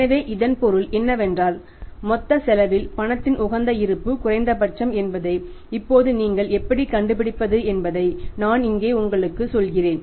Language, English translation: Tamil, So, it means what is now how can you can you find out that it is optimum balance of the cash and the total cost is minimum